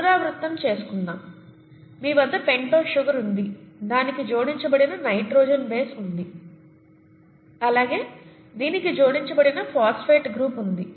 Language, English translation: Telugu, Repeating; you have a pentose sugar, you have a nitrogenous base that is attached to this, and you have a phosphate group attached to this